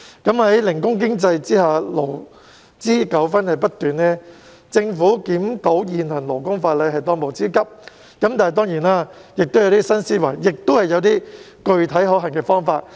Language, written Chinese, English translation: Cantonese, 在零工經濟下，勞資糾紛不斷，政府檢討現行勞工法例是當務之急，但當然亦須參考一些新思維和具體可行的方法。, The gig economy has given rise to many labour disputes . It is imperative for the Government to review the existing labour laws . However the Government must also take into account new ideas and specific approaches that are feasible